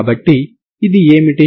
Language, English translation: Telugu, So what is the solution